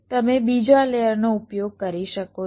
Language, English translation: Gujarati, so what you can do, you can use another layer